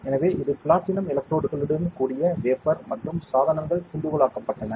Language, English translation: Tamil, So, this is the wafer with the platinum electrodes and the devices have been diced